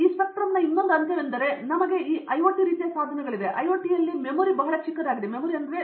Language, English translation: Kannada, Another end of this spectrum is, we have this IOT type of devices; in the IOT know the memory will be very small